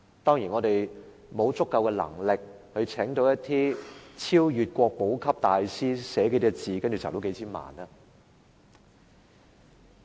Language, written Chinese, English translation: Cantonese, 當然，我們沒有足夠能力聘請一些超越國寶級的大師，書寫數個字便可以籌得數千萬元。, Of course it is beyond our ability to invite some masters who transcend national treasure level to raise tens of millions of dollars for us by just writing a few calligraphic characters